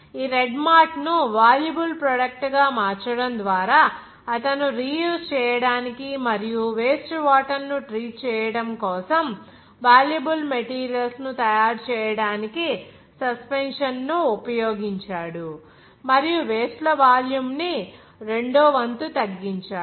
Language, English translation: Telugu, Just by converting this red mart to valuable products, so he used the suspension to make valuable materials for the treatment of wastewater for reuse and reducing the volume of waste by a factor of two